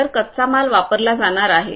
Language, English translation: Marathi, So, raw materials are going to be used